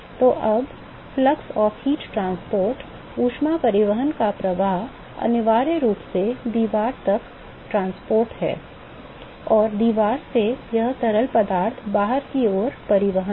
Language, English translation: Hindi, So, now, the flux of heat transport, whatever flux of heat transport is essentially what is transport to the wall and from the wall it is transport to the fluid outside